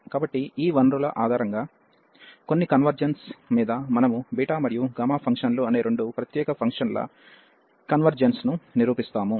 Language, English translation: Telugu, So, based on this these resources some on convergence we will prove the convergence of two special functions which are the beta and gamma functions